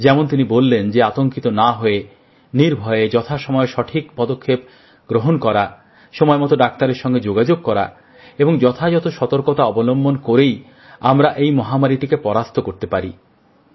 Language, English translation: Bengali, As he mentioned, without panicking, following the right steps on time, contacting doctors on time without getting afraid and by taking proper precautions, we can defeat this pandemic